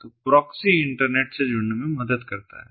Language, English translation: Hindi, so proxy helps to connect to the internet